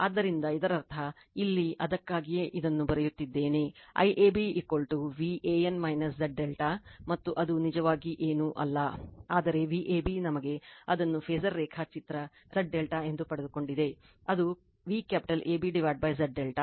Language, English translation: Kannada, So, that means, here that is why you are writing this one IAB is equal to V an minus Z delta s nd that is actually nothing, but V ab we got it the phasor diagram by Z delta that is V capital AB upon Z delta